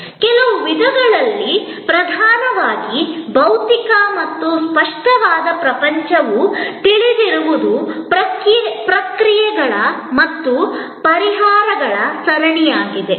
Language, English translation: Kannada, In certain ways that dominantly physical and tangible world was a known series of processes and solutions